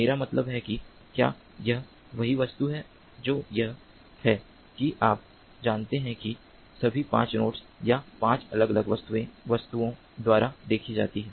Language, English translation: Hindi, you know that is all seen by the, although all the five nodes or five different objects